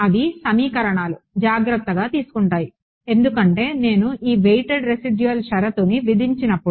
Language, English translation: Telugu, That the equations will take care off; because when I impose this weighted residual condition